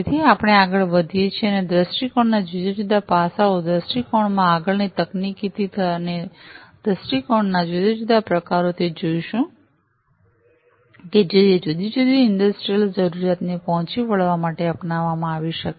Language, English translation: Gujarati, So, we go further ahead and look at the different aspects of viewpoints the further technicalities into the viewpoints and how there are different types of viewpoints, which could be adopted for catering to the requirements of different industrial needs